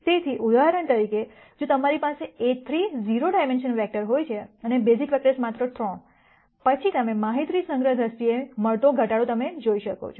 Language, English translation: Gujarati, So, for example, if you have a 30 dimensional vector and the basis vectors are just 3, then you can see the kind of reduction that you will get in terms of data storage